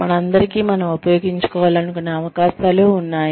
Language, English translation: Telugu, We all have opportunities, that we want to make use of